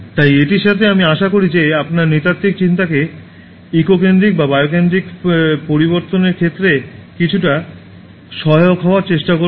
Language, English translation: Bengali, So, keep that in mind, so with this I hope I will try to be somewhat instrumental in changing your anthropocentric thinking to eco centric or bio centric and start doing your bit, whatever you can do